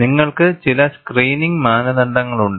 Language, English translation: Malayalam, And you have certain screening criteria